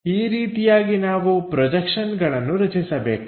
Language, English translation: Kannada, This is the way we have to construct these projections